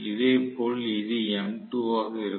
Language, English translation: Tamil, Similarly, this is going to be m2